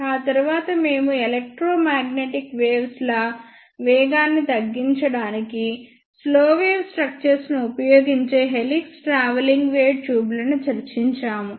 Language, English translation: Telugu, And these three are low power microwave tubes after that we discussed helix travelling wave tubes in which slow wave structures are used to slow down the electromagnetic waves